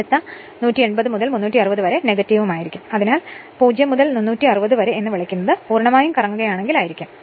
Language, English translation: Malayalam, So, 0 to 180 degree it will be your this plus right and next 180 to 360 it will be minus; that means, this will your what you call 0 to 360 degree it will if it complete rotates